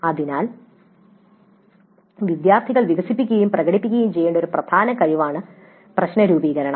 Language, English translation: Malayalam, So the problem formulation is an important skill that the students must develop and demonstrate